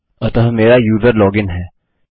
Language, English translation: Hindi, So my user is logged in